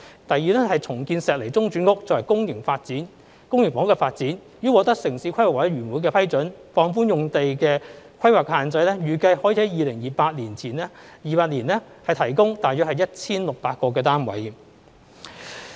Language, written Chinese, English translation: Cantonese, 第二是重建石籬中轉屋，作為公營房屋的發展，已獲得城市規劃委員會的批准，放寬用地規劃的限制，預計可於2028年提供大約 1,600 個單位。, The second measure is the redevelopment of Shek Lei Interim Housing for public housing development . Approval for relaxing planning restrictions on the site has been granted by the Town Planning Board . It is expected that about 1 600 units can be provided in 2028